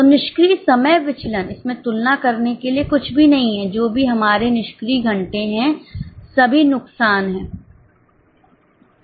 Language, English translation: Hindi, So, idle time variance there is nothing to compare whatever our idle hours are all lost